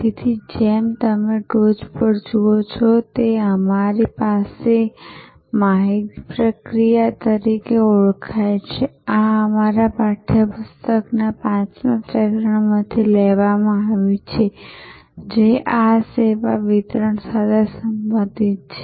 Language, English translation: Gujarati, So, as you see on top of we have what is known as information processing, this is taken from the 5'th chapter of our textbook, which relates to this service delivery